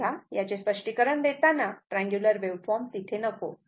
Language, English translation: Marathi, So, while ah explaining this one ah this triangular waveform, I should have gone